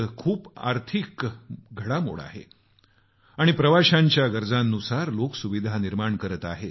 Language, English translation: Marathi, A large economy is developing and people are generating facilities as per the requirement of the tourists